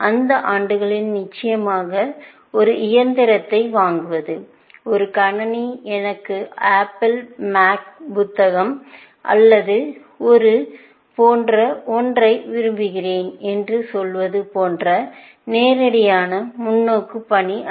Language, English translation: Tamil, In those years, of course, buying a machine, a computer was not such a straight forward task as saying that I want Apple, Mac book or something like that